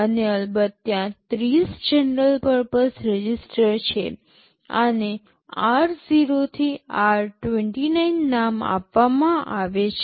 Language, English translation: Gujarati, And of course, there are 30 general purpose registers; these are named typically r0 to r29